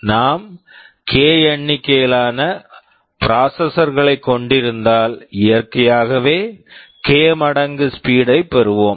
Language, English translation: Tamil, Well, we can have k number of processors naturally we will be getting k times speed up